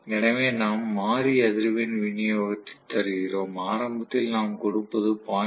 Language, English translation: Tamil, So, either we give variable frequency supply, where we actually give initially may be 0